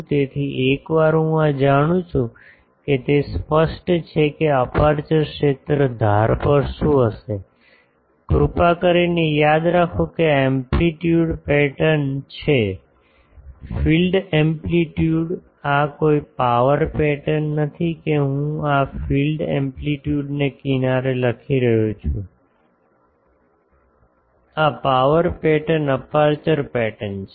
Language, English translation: Gujarati, So, once I know these it is obvious that what will be the at the edge the aperture field please remember this is amplitude pattern; field amplitude, no this is power pattern from that I am writing the field amplitude at the edge; this is the power pattern aperture pattern